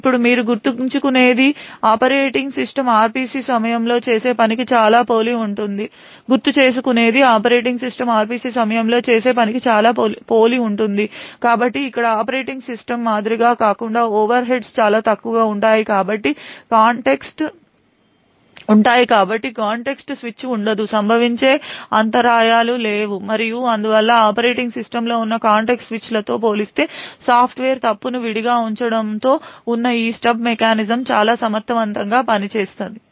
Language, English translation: Telugu, Now this you would recollect is very much similar to what the operating system does during RPC, so however here unlike the operating system the overheads are very minimal so there are no contexts switch, there are no interrupts that are occurring and so on, so therefore these stub mechanisms present with the Software Fault Isolation is highly efficient compared to the context switches present in the operating system